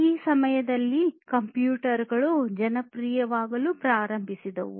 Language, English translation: Kannada, And it was around that time that computers were starting to get popular